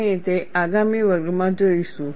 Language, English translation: Gujarati, We would see that in the next class